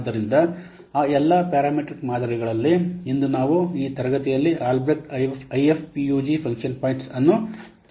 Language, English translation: Kannada, So out of all those parametric models today we'll discuss right now in this class Albreast IF IF PUG function point